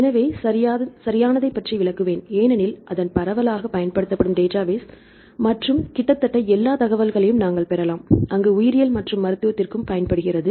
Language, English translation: Tamil, So, I will explain about the proper because its widely used database and we get almost all the information, there going to the biology and as well as for the medicine